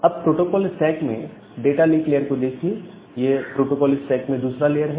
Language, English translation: Hindi, Now, the data link layer of the protocol stack that is the layer 2 of the protocol stack